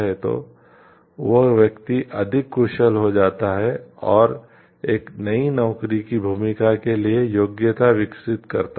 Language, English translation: Hindi, So, that the person becomes more efficient more develops the competency for a new job role